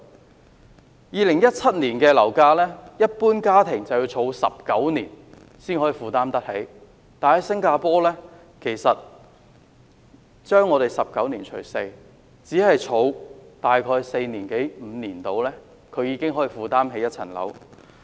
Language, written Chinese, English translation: Cantonese, 按照2017年的樓價，一般家庭要儲蓄19年才能夠負擔得起，但新加坡是將我們的19年除 4， 只需儲蓄大約四五年，已經可以負擔一層樓。, An average household has to save money for 19 years before it can afford to purchase a property at the prices in 2017 . In the case of Singapore people only need a quarter of the 19 years that is about four to five years to save up enough money for property purchase